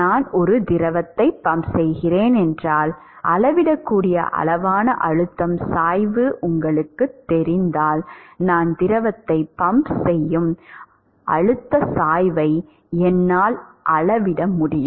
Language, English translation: Tamil, If you know the pressure gradient that is a measurable quantity right if I am pumping a fluid I should be able to measure the pressure gradient at which I am pumping the fluid